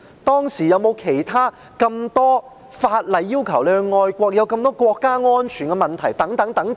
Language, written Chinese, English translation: Cantonese, 當時有沒有其他法例要求市民愛國，有沒有這麼多國家安全等問題？, Were there other laws requiring the citizens to be patriotic and were there so many problems concerning national security and so on?